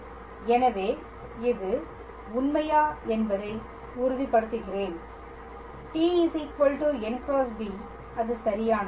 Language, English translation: Tamil, So, let me just confirm if this is true so, t equals to n cross b that is correct